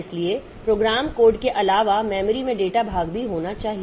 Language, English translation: Hindi, So, apart from the program code, so all the data part should also be there in the memory